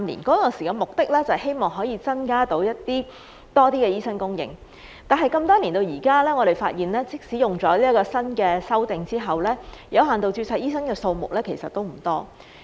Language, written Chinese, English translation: Cantonese, 當時的目的是希望可以增加醫生的供應，但那麼多年後到現在，我們發現即使有了該項修訂之後，有限度註冊醫生的數目其實也不多。, The purpose at that time was to increase the supply of doctors but now after so many years we find that even after the amendment the number of doctors with limited registration is still small